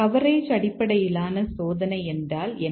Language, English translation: Tamil, What do you mean by coverage based testing